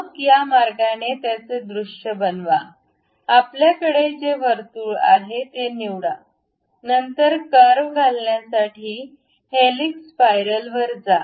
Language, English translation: Marathi, Then, visualize it in this way, we have the, pick that circle, then go to insert curve, helix spiral